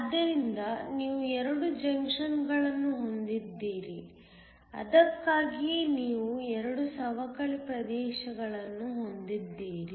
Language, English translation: Kannada, So, you have 2 junctions which is why you have 2 depletion regions